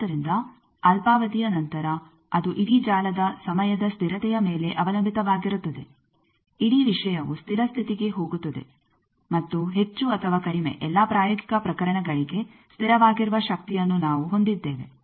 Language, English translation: Kannada, So, after a short time that depends on the time constant of the whole network the whole thing goes to steady state and we have a power which is more or less for all practical cases constant